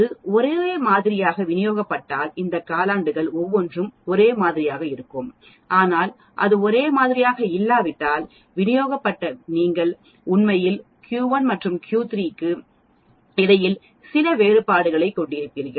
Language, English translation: Tamil, If it is very uniformly distributed you will have each of these quarters same but if it is not uniformly distributed you will have some variations between Q 1 and Q 3 and so on actually